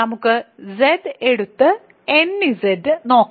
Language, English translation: Malayalam, So, let us take Z and let us consider nZ